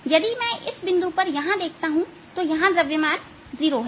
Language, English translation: Hindi, if i look at this point out here, this is a zero mass